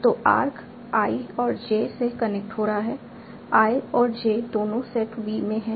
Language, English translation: Hindi, And so arc is connecting to nodes I and J, both I and J are in the set field